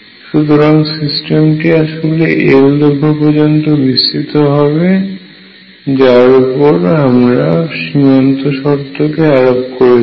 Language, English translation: Bengali, So, system really is extended over that length l over which I am applying the boundary condition